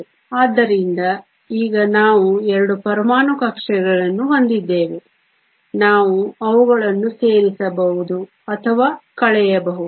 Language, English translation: Kannada, So, now we have 2 atomic orbitals; we can either add them or subtract them